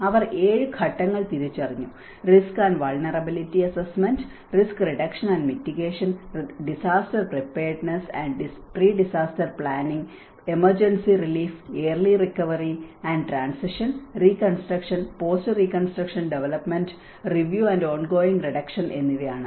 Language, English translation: Malayalam, They have identified the 7 phases; one is the risk and vulnerability assessment, risk reduction and mitigation, disaster preparedness and pre disaster planning, emergency relief, early recovery and transition, reconstruction, post reconstruction development, review and ongoing reduction